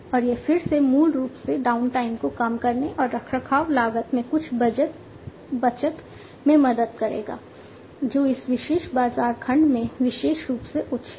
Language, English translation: Hindi, And the this again basically will help in reducing the downtime and saving some of the maintenance cost that is typically high in this particular in, this particular market segment